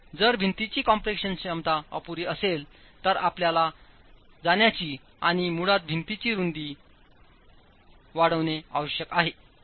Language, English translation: Marathi, So if the compression capacity of the wall is inadequate, you need to go and basically increase the width of the wall